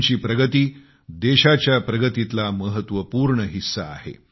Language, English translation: Marathi, Your progress is a vital part of the country's progress